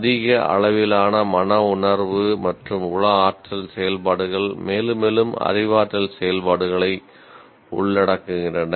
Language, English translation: Tamil, And higher levels of affective and psychomotor activities involve more and more cognitive activities that we will acknowledge